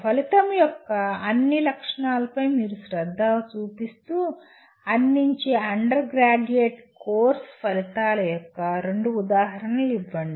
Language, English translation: Telugu, Give two examples of outcomes of an undergraduate course offered by you paying attention to all the features of an outcome